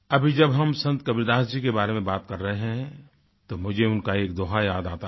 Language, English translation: Hindi, Since we are referring to Sant Kabir Das ji, I am reminded of a doha couplet in which he says,